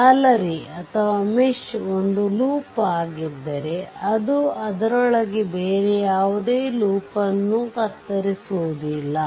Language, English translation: Kannada, If mesh is a loop it does not cut any other loop within it right